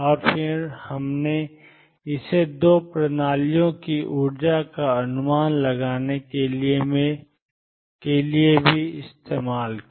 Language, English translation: Hindi, And then we applied it to estimate energies of 2 systems